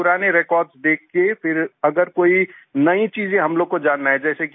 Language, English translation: Hindi, Then after seeing the old records, if we want to know any new things